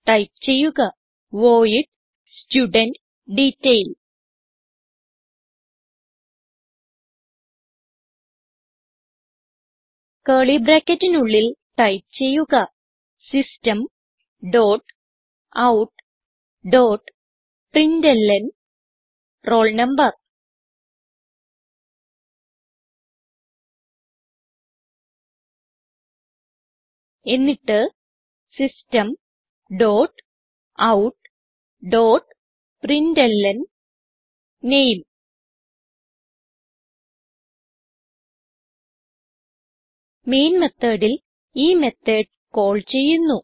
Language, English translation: Malayalam, So type void studentDetail() Within curly brackets type System dot out dot println roll number Then System dot out dot println name Now in Main method we will call this method